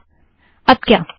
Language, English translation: Hindi, So what next